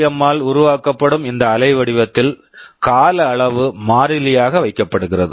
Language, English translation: Tamil, In this waveform which is being generated by PWM the time period is kept constant